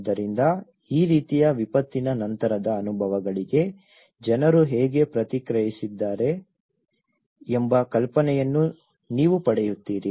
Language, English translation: Kannada, So, you will get an idea of how people have responded to these kind of post disaster experiences